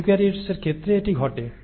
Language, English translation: Bengali, So this happens in case of eukaryotes